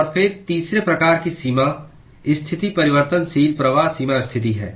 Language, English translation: Hindi, And then, the third type of boundary condition is the variable flux boundary condition